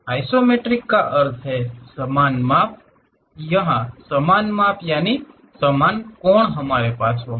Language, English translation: Hindi, Isometric means equal measure; here equal measure angles we will have it